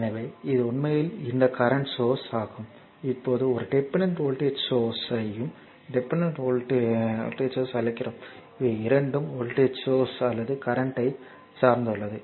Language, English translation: Tamil, So, this is actually this currents source we are now now we are you have seen that your what you call a dependent voltage source and your dependent current source, both are dependent on either voltage or current right now